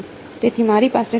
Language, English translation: Gujarati, So, what I am left with